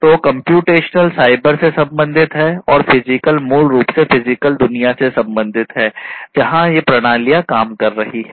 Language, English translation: Hindi, So, computational is the cyber one and physical is basically the physical world in which these systems are operating, physical world